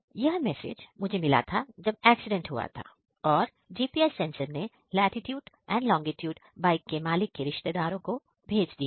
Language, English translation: Hindi, This is the message I got when the accident happened and the GPS sensor sends the latitude and longitude to the owner’s relatives